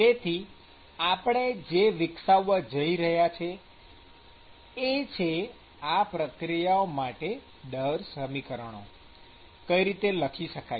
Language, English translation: Gujarati, So, what we are going to see is we are going to develop, how to write the rate equations for these processes